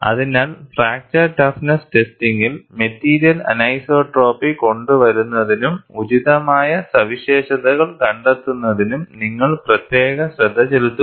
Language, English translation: Malayalam, So, in fracture toughness testing, you also take special care to bring in the material anisotropy and find out the appropriate properties